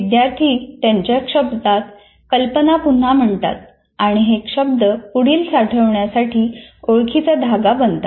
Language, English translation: Marathi, Students orally restate ideas in their own words, which then become familiar cues to later storage